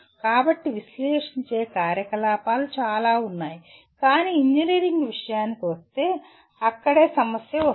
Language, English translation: Telugu, So analyze activities are very many but that is where we get into problem when we come to engineering